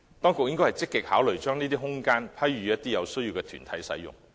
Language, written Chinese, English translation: Cantonese, 當局應積極考慮把這些空間批予有需要的團體使用。, The authorities should actively consider granting these spaces to the groups in need